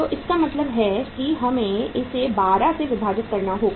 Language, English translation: Hindi, So it means we have to take it as divided by 12